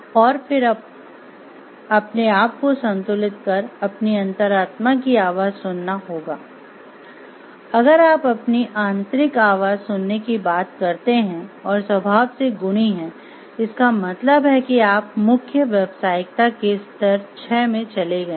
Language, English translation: Hindi, And then you have to take our balance and take a call like whom to listen to if you talk of listening to your like inner voice and be virtuous in nature then you have moved to stage 6 of principled professionalism